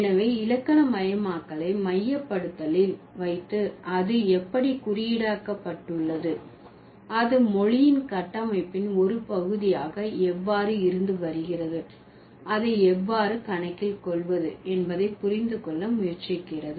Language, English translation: Tamil, So, keeping grammaticalization in the focus, the pragmatists try to understand how it has been encoded, how it has been a part of the structure of language and how to account for it